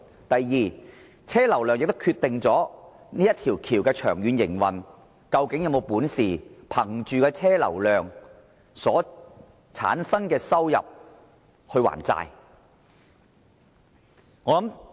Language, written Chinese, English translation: Cantonese, 第二，車流量也是決定大橋長遠營運的其中一項因素，例如大橋能否倚靠車流量產生的收入還債。, Second the vehicular flow volume will also be a factor that determines the long - term operation of HZMB . For example will HZMB be able to repay its loans from revenue generated by the vehicular flow volume?